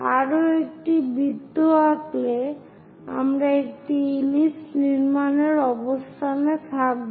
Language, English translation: Bengali, By drawing one more circle, we will be in a position to construct an ellipse